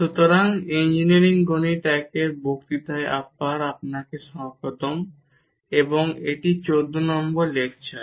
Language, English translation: Bengali, So, welcome back to the lectures on Engineering Mathematics I, and this is lecture number 14